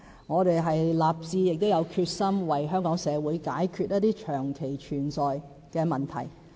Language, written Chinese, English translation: Cantonese, 我們已立志，並有決心為香港社會解決一些長期存在的問題。, We are determined to resolve certain long - standing problems in Hong Kong